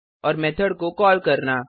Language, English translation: Hindi, And To call a method